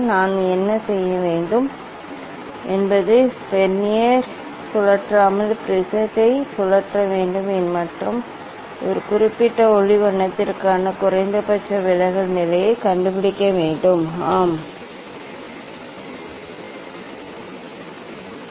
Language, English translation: Tamil, What I should do only I should rotate the prism without rotating the Vernier and find out the minimum deviation position for a particular light colour, yes, I got it yes, but this not the minimum position